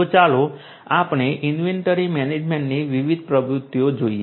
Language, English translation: Gujarati, So, let us look at the different activities in inventory management inventory